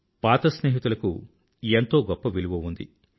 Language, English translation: Telugu, Old friends are invaluable